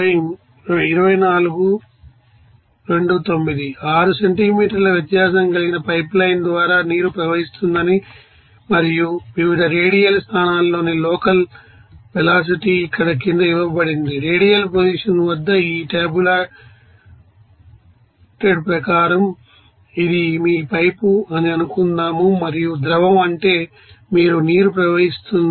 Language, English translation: Telugu, Let us consider that water is flowing through a you know a pipelines that is 6 centimeter in diameter and the local velocity at various you know radial positions are given below here like as per this tabulated form here at radial position of despite suppose this is your pipe and the fluid is that is your water is flowing